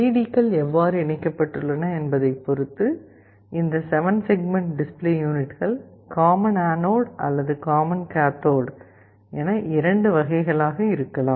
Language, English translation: Tamil, Now, depending on how the LEDs are connected inside, these 7 segment display units can be of 2 types, either common anode or common cathode